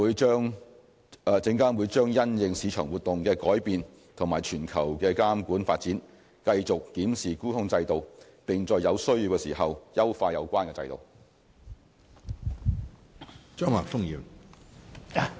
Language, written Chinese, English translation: Cantonese, 證監會將因應市場活動的改變及全球監管發展，繼續檢視沽空制度，並在有需要時優化有關制度。, SFC will continue to review and if necessary enhance the short - selling regime based on changing market activities and global regulatory developments